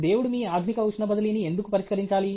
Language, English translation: Telugu, Why he should solve your advance heat transfer